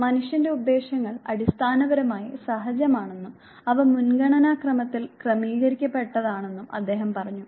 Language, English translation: Malayalam, What he said was that human motives are basically innate and they are arranged in an ascending order of priority